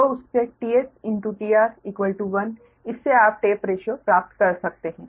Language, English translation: Hindi, so from the t r into t s one, from that you can get the tap ratios